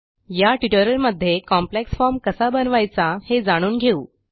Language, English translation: Marathi, In this tutorial, let us learn about building a complex form